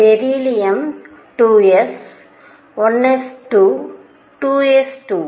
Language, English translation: Tamil, Beryllium was 2 s, 1 s 2, 2 s 2